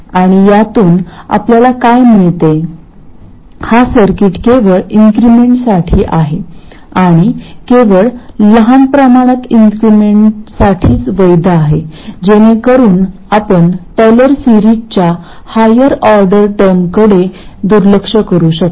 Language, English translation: Marathi, This circuit is valid only for increments and only for increments that are sufficiently small so that you can neglect higher order terms in the Taylor series